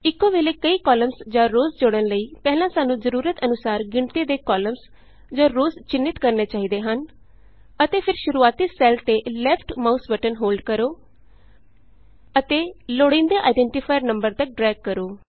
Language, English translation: Punjabi, For inserting multiple columns or rows at the same time, we should first highlight the required number of columns or rows by holding down the left mouse button on the initial cell and then dragging across the required number of identifiers